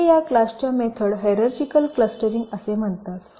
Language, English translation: Marathi, this classes of methods are called hierarchical clustering